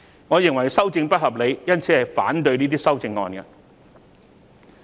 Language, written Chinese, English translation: Cantonese, 我認為修訂不合理，因此會反對這些修正案。, I consider the amendment unreasonable . Thus I will oppose these amendments